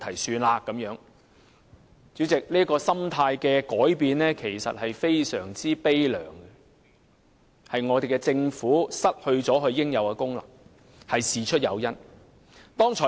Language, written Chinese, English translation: Cantonese, 主席，這種心態的改變其實非常悲涼，亦顯示政府失去了應有的功能。, President such a change in mentality is actually very sad which also indicates that the Government has failed to perform its due function